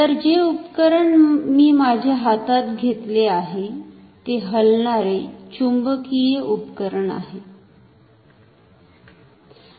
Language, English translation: Marathi, So, the instrument that I am holding in my hand is moving iron instrument